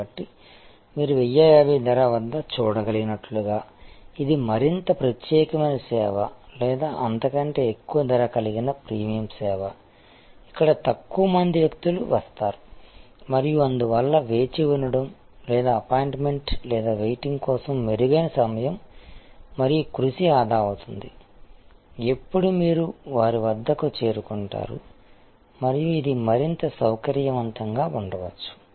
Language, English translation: Telugu, So, as you can see for at price of 1050, this is the more exclusive service or more a higher price premium service, where fewer people come and therefore, there is a better time and effort saving of waiting or for appointment or waiting, when you arrive their and it may be more conveniently located and so on